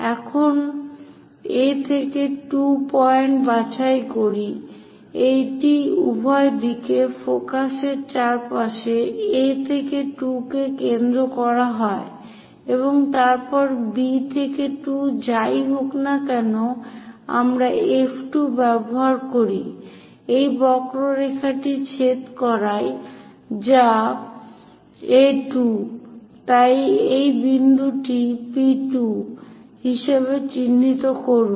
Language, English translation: Bengali, Now, A to 2 pick that point; this is A to 2 centered around focus on both sides then B to 2 whatever the distance we get use F 2 intersect this curve which is A 2